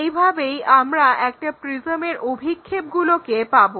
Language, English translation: Bengali, This is the way a prism we will have projections